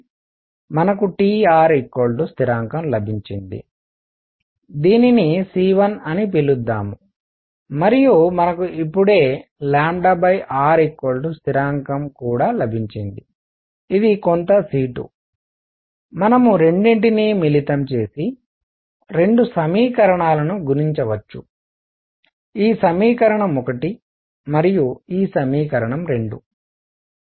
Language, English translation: Telugu, We have got T times r is a constant, let us call this c 1 and we have also got just now that lambda over r is a constant which is some c 2, we can combine the 2 and multiply both equations; this equation 1 and this equation 2